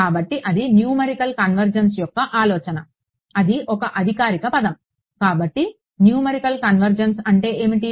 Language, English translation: Telugu, So, that is the idea of numerical convergence that is the formal word for it; so, numerical convergence